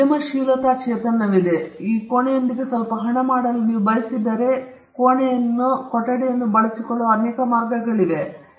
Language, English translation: Kannada, Now, if there is a entrepreneurial spirit in you, and you want to make some money with this room, there are multiple ways in which you can use this room to make money